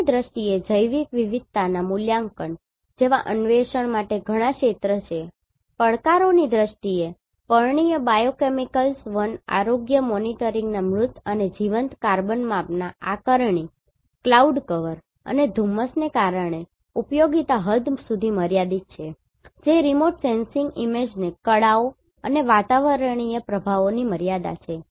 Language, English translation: Gujarati, In terms of opportunity there are several areas to explore like assessment of biological diversity, assessment of dead and live carbon measurement of foliar biochemicals forest health monitoring, in terms of challenges, the utility is limited to an extent due to cloud cover and haze that is the limitation with the remote sensing image artefacts and atmospheric effects